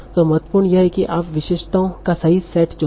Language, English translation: Hindi, So now what is important is that you choose the correct set of features